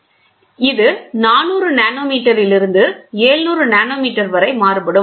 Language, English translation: Tamil, So, it varies from 400 nanometres to 700 nanometeres